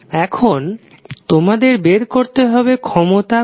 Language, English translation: Bengali, How will you find out the value of power p